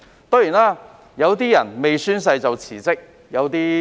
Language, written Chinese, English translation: Cantonese, 當然，有些人未宣誓便已辭職。, Of course some people have resigned before taking oath